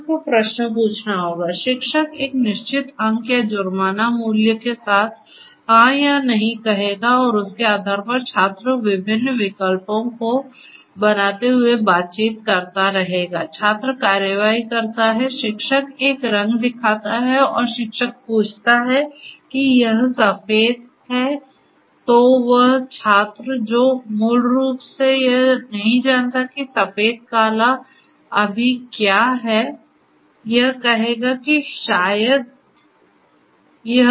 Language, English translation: Hindi, The student will have to ask questions; the teacher will say yes or no with a certain marks or penalty value and based on that the student will keep on interacting making different choices, takes and action student takes an action you know the teacher asks that is this you know shows a color let us say the teacher shows a color and this the teacher asks that is it white then the student basically who does not know whether it is white black or what whatever it is will say that it is grey with certain probability